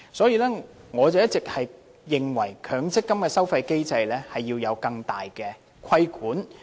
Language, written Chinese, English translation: Cantonese, 因此，我一直認為強積金的收費機制要有更大的規管。, Therefore I have all along held that the fee charging mechanism of the MPF schemes should be subject to enhanced regulatory control